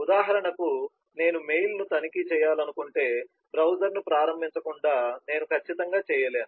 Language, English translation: Telugu, for example, if i want to check mail, then certainly i cannot do that without launching the browser